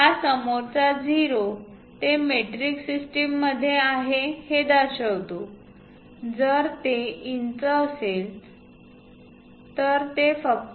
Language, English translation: Marathi, This leading 0, we show it in metric system, if it is inches it will be just